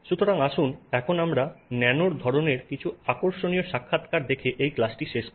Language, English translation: Bengali, So, now let's close this class by looking at some interesting encounters of the nanokine